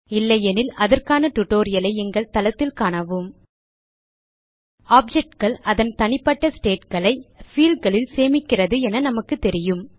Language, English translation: Tamil, If not, for relevant tutorials please visit our website which is as shown, (http://www.spoken tutorial.org) We know that objects store their individual states in fields